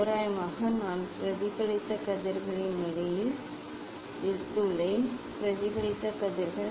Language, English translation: Tamil, approximately I have taken the at the position of the reflected rays; reflected rays